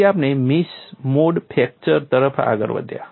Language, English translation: Gujarati, Now we move on to our next topic mixed mode fracture